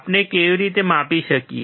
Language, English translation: Gujarati, How can we measure